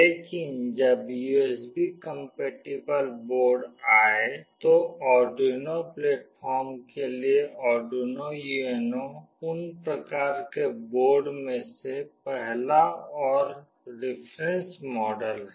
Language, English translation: Hindi, But, when USB compatible boards came, Arduino UNO is the first of those kinds of board and the reference model for the Arduino platform